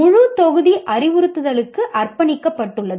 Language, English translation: Tamil, The entire module is dedicated to the instruction